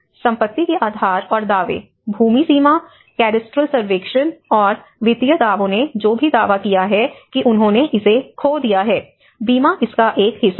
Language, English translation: Hindi, Property rights and claims, land boundary, cadastral survey, and the financial claims whoever have claimed that they have lost this; there is an insurance part of it